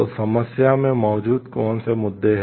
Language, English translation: Hindi, So, what are the issues which are present in the problem